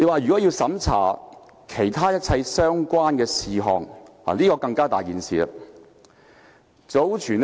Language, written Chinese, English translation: Cantonese, 說要審查其他一切相關的事項，這點便更嚴重。, What is more terrible is the proposal to look into all other related matters